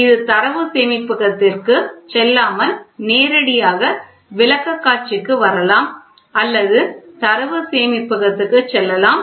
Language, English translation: Tamil, It without going to the data storage it can directly come to the presentation or it can go to store